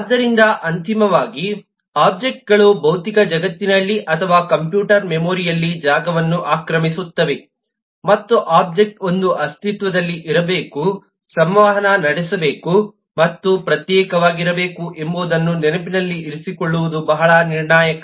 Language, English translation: Kannada, so, finally, the objects occupies space, either in the physical world or the computer memory, and it is very critical to keep in mind that an object must exist, must interact and must be distinguishable